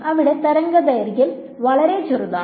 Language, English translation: Malayalam, So, there the wavelength is much smaller